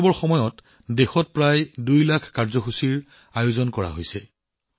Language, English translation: Assamese, About two lakh programs have been organized in the country during the 'Amrit Mahotsav'